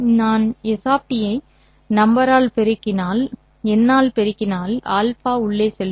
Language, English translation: Tamil, If I multiply S of T by a number alpha, then alpha will go inside